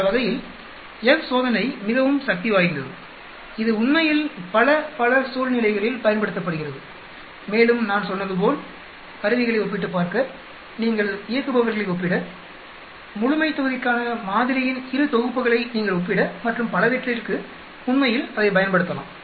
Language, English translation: Tamil, That way F test is very powerful it is used in many, many situations actually and also we can use it if we are comparing as I said instruments, if you are comparing operators, if you are comparing more than 2 sets of samples for the population and so on actually